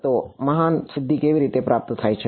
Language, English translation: Gujarati, So, how is this great feat achieved